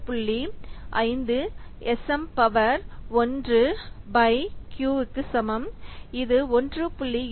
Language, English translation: Tamil, 5 s m to the power 1 by q and this is coming to be 1